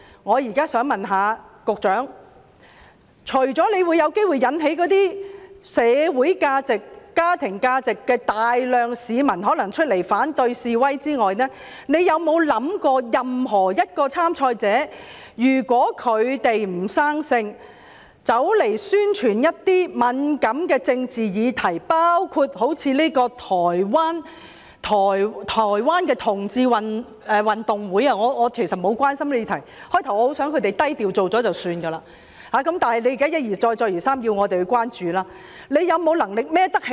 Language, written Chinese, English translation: Cantonese, 我現在想問局長，除了在社會價值和家庭價值方面有機會引起大量市民出來反對示威外，局長有否想過任何一位參賽者如果屆時"不生性"，宣傳一些敏感的政治議題，包括好像這個台灣的同志運動會——其實我不太關心這個議題，最初我希望他們低調舉辦就算，但現時一而再，再而三地要我們關注——局長有沒有能力負責呢？, Now I want to ask the Secretary apart from the possibility of arousing the opposition of a large number of people to demonstrate for social and family values has the Secretary thought about if any participant does not behave himselfherself and promote some sensitive political issues just like what this Taiwan Gay Sports and Movement Association has done―I actually do not care much about this issue and just hope they would keep it low - profile but now it repeatedly draws our concern―will the Secretary be able to take responsibility?